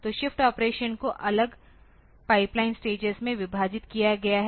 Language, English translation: Hindi, So, shift operation it has been separated into a separate pipeline stage